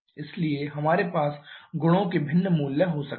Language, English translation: Hindi, So, we may have different values of the properties